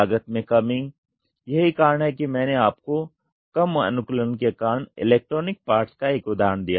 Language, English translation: Hindi, Reduction in cost, that is what I gave you an example of electronic parts due to less customization